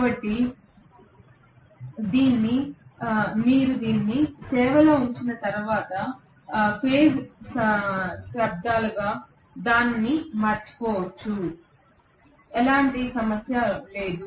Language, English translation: Telugu, So once you put it in service you can forget about it for decades on, there is no problem at all